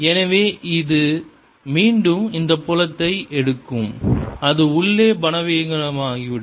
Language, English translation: Tamil, so this again: take this field: it'll become weaker inside